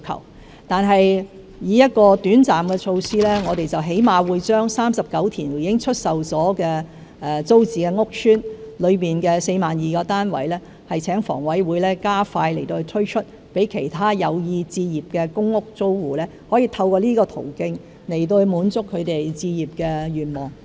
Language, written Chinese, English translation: Cantonese, 然而，作為一項短暫的措施，我們最低限度會把39個已出售的租置屋邨中的 42,000 個單位，請房委會加快推出，讓其他有意置業的公屋租戶可以透過這個途徑來滿足他們置業的願望。, Nevertheless as a short - term measure we will at least ask HA to accelerate the sale of 42 000 flats in the 39 PRH estates which have already been put up for sale so that the home ownership aspirations of those prospective PRH tenants can be met